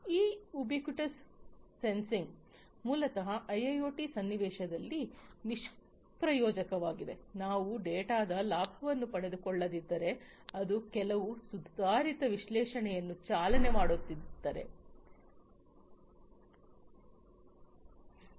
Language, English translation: Kannada, So, this ubiquitous sensing is useless basically in the IIoT context, if we are not taking advantage of the data and running some advanced analytics on top